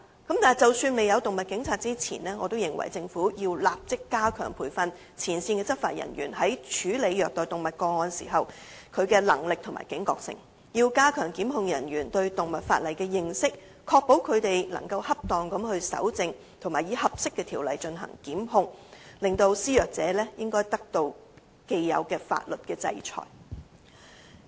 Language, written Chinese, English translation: Cantonese, 然而，即使現時未有"動物警察"，我亦認為政府應立即加強培訓前線執法人員在處理虐待動物個案時的能力和警覺性，並加強檢控人員對動物法例的認識，確保他們能夠恰當地搜證和以合適的條例來進行檢控，令施虐者得到應有的法律制裁。, Although we do not have animal police for the time being I maintain that the Government should immediately enhance the training of frontline enforcement officers on handling cases of animal cruelty and their awareness of such cases and enhance the knowledge of prosecutors on animal legislation so as to ensure that they can properly collect evidence and take prosecution action pursuant to an appropriate legislation thereby bringing the abusers to justice